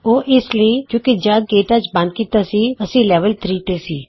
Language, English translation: Punjabi, That is because, we were in level 3, when we closed Ktouch